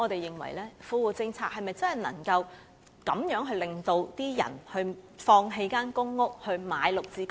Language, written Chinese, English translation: Cantonese, 因此富戶政策是否能夠令人放棄公屋，轉而購買"綠置居"呢？, Hence can the Well - off Tenants Policies make the people give up their PRH units and buy GSH units instead?